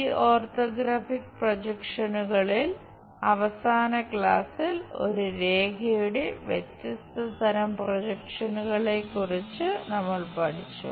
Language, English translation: Malayalam, In these orthographic projections, in the last class we have learned about different kind of projections of a line